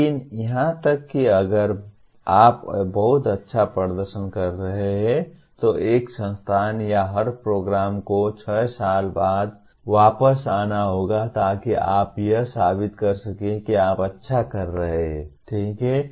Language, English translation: Hindi, But even if you are performing extremely well, one every institute or every program has to come back after 6 years to prove that you are continuing to do well, okay